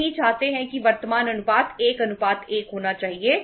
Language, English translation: Hindi, We do not want that the current ratio should be 1:1